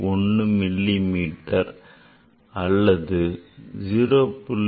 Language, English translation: Tamil, 1 millimeter or 0